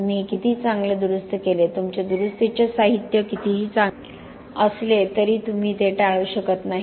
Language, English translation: Marathi, No matter how good you repair this, no matter how good your repair material is, you cannot avoid that